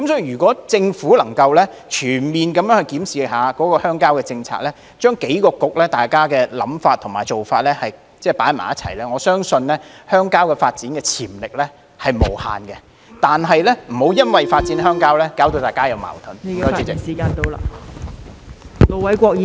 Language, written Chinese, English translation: Cantonese, 如果政府能全面檢視鄉郊政策，將數個政策局的想法和做法統籌協作，我相信鄉郊發展的潛力是無限的，但請不要因為發展鄉郊而有矛盾......, This is the incongruity between the Government and the villagers . If the Government can comprehensively review rural policies and coordinate the ideas and approaches of several Policy Bureaux I believe rural development has infinite potential . But please do not trigger conflicts because of developing rural areas